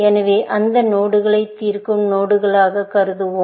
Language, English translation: Tamil, So, we will treat those nodes as solve nodes